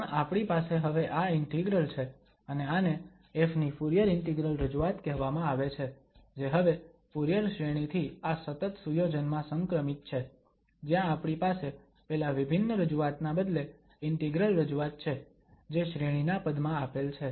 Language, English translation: Gujarati, But we have this integral now and this is called the Fourier integral representation of f which is the transition from the Fourier series to this continuous setting now, where we have an integral representation instead of that discrete representation given in terms of the series